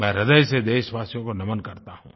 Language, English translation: Hindi, I heartily bow to my countrymen